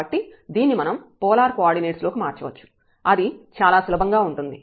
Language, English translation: Telugu, So, we can change this to polar coordinate that is easier